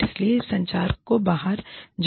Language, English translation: Hindi, And this, so this communication should, go out